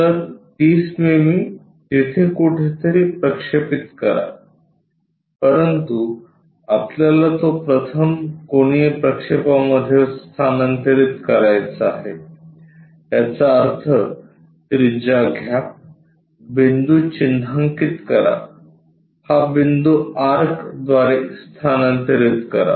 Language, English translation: Marathi, So, 30 mm project somewhere there, but we want to transfer that in the first angle projection; that means, take radius mark this point transfer it by arc